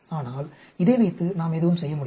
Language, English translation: Tamil, But with this we cannot do anything